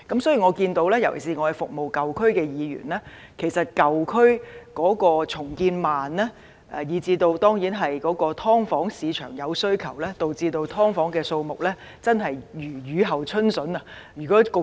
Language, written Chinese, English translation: Cantonese, 所以，我們看到——尤其是我們是服務舊區的議員——舊區重建緩慢，而市場對"劏房"有需求，導致"劏房"的數目真的如雨後春筍般增加。, For these reasons we find―this is particularly the case for Members serving the old districts―that with the slow pace of redevelopment of old areas and the demand for subdivided units in the market there is an upsurge in the number of subdivided units